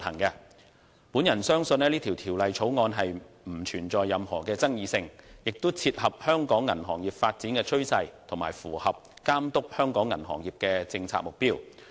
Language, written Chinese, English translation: Cantonese, 我相信本《條例草案》不存在任何爭議性，亦切合香港銀行業發展趨勢，以及符合規管香港銀行業的政策目標。, I believe that the Bill is not controversial . And it aligns with the development trend of the banking industry in Hong Kong and meets the policy objectives on the regulation of the banking industry in Hong Kong